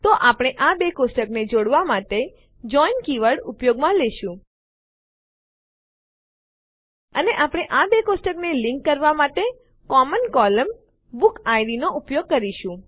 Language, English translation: Gujarati, So we will use the JOIN keyword, to join these two tables and we will use the common column, BookId, to link these two tables